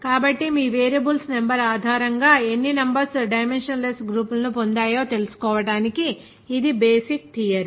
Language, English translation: Telugu, So this is the basic theory to get how many numbers will dimensionless groups based on your number of variables